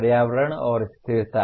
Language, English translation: Hindi, Environment and sustainability